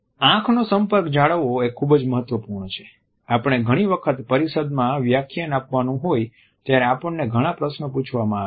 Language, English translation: Gujarati, Maintaining an eye contact is very important often we have to make presentations during conferences and we may be asked several questions